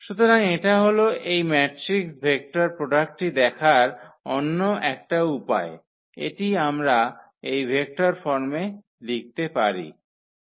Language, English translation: Bengali, So, that is another way of looking at this matrix vector product we can write down in this vector forms